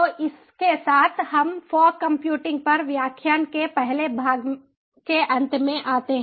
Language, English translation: Hindi, so with this we come to an end of first part of lecture on fog computing